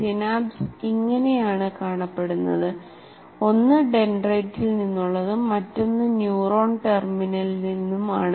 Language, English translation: Malayalam, This is how the synapse looks like from one is from dendrite, the other is from the terminal, neuron terminal